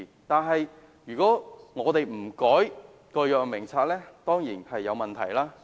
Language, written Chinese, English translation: Cantonese, 但是，如果我們不修改《藥物名冊》，當然會有問題。, However if we are not going to amend the Drug Formulary of course there will be problems